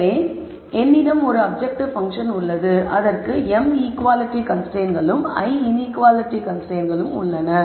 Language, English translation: Tamil, So, I have the objective function, I have m equality constraints and l inequality constraints